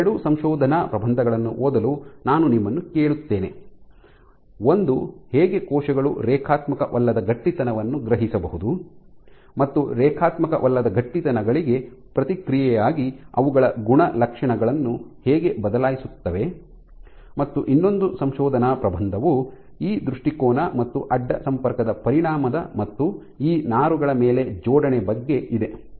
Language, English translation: Kannada, I would ask you to read these two papers one on which and how cells can sense non linear stiffness and how they change their properties in response to non linear stiffness and the other one this paper, the other paper is about this orientation and effect of cross linking and alignment on these fibers